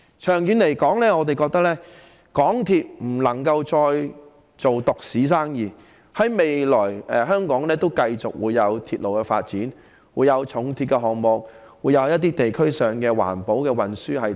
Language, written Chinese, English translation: Cantonese, 長遠來說，港鐵不能再做獨市生意，在未來，香港仍會有鐵路發展，有重鐵的項目和地區上的環保運輸等。, In the long run MTRCL can no longer monopolize the market . In the future there will still be other railway development projects in Hong Kong such as the heavy rail project and environmentally - friendly modes of transport in local districts